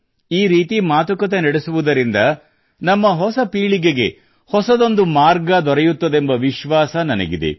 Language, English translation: Kannada, I am sure that this conversation will give a new direction to our new generation